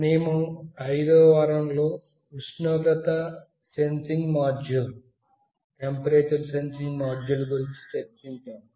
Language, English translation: Telugu, In week 5, we discussed about temperature sensing module